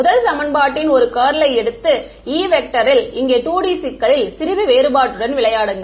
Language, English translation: Tamil, Take a curl of the first equation right and play around with the little bit divergence of E 0 in the 2 D problem over here